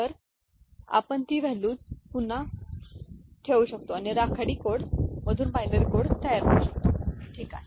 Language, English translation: Marathi, So, we can again put those values and can see this is the way simply you can get the binary code generated from the gray code, ok